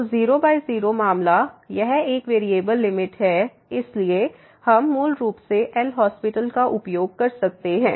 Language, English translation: Hindi, So, 0 by 0 case this is a one variable limit so, we can use basically L’Hospital